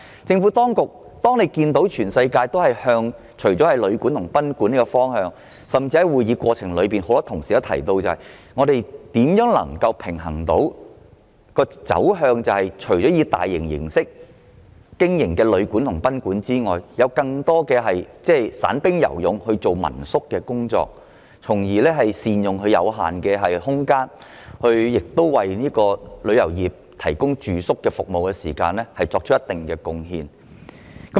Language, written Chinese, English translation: Cantonese, 政府當局注意到全球旅館和賓館的發展，而多位議員在會議的過程中亦提到另一個問題，便是除了大型旅館和賓館外，當局應如何平衡地讓更多散兵游勇式的民宿經營，藉以善用有限空間，為旅遊業的住宿服務作出貢獻。, The Administration has noted the development of guesthouses and boarding houses worldwide . And various Members have also brought up another issue during the meeting the issue of how the authorities should facilitate the operation of more hostels run by individuals in a balanced fashion in addition to large guesthouses and boarding houses for the effective use of our limited space and enabling them to contribute to the provision of accommodation services for the tourism industry